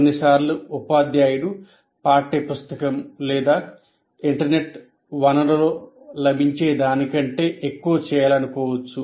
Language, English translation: Telugu, And sometimes a teacher may want to do something more than what is available in a textbook or internet source